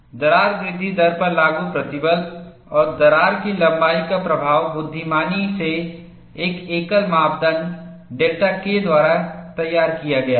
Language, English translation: Hindi, The effect of applied stress and crack length on crack growth rate is intelligently modeled by a single parameter delta K